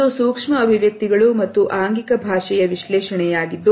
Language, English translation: Kannada, It is an analysis of micro expressions and body language